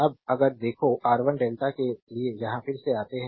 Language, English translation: Hindi, Now if you look R 1 2 delta right come here again